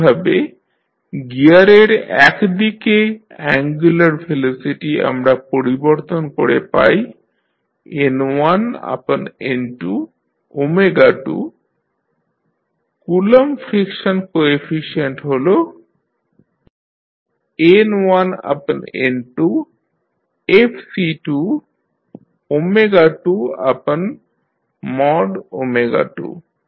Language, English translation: Bengali, Similarly, angular velocity we convert into the gear one side is N1 upon N2 omega 2, Coulomb friction coefficient is N1 upon N2 Fc2 omega 2 divided by mod omega 2